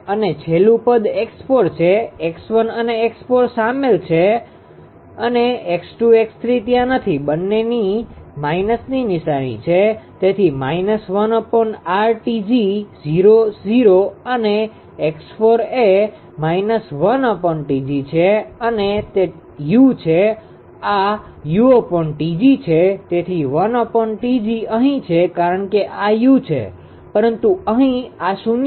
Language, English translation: Gujarati, And last term x 4; x 1 and x 4 is involved x 2, x 3 is not there both are minus sign so minus 1 upon R T g 0 0 and x 4 is this minus 1 upon T g this one x 4 and it is u 1 upon T gu so 1 upon T g is here because this is u but here it is 0 right